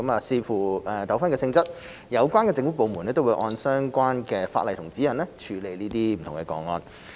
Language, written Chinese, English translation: Cantonese, 視乎糾紛的性質，有關政府部門會按相關的法例和指引處理這些個案。, Depending on the nature of the disputes the government departments concerned will handle the cases in accordance with the relevant legislation and guidelines